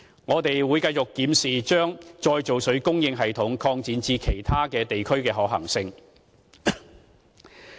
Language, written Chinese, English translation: Cantonese, 我們會繼續檢視把再造水供應系統擴展至其他地區的可行性。, We will continue to study the feasibility of extending the system of reclaimed water supply to other districts